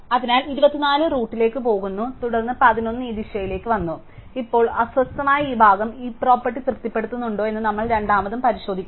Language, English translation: Malayalam, So, 24 goes up to the root and then 11 has come in this direction, so we must again check whether this part which has now been disturbed satisfies the heap property